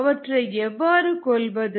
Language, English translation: Tamil, how do you kill it